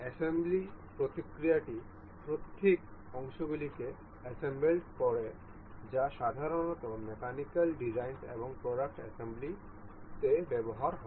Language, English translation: Bengali, The assembly process consist of combing the individual parts that are usually used in mechanical designs and product assembly